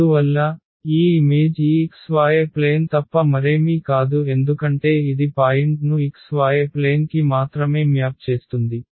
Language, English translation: Telugu, And therefore, this image is nothing but this x y plane because this maps the point to the x y plane only